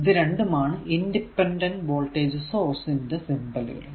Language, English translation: Malayalam, So, these 2 are symbol for your independent voltage sources right